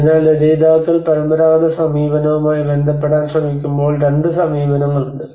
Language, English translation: Malayalam, So there is two approaches when the authors they try to relate with the traditional approach